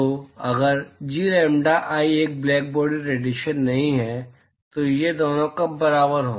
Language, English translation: Hindi, So, if G lambda,i is not a blackbody radiation, when are these two equal